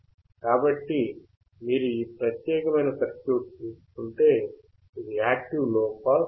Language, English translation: Telugu, So, if you take this particular circuit, this is active low pass filter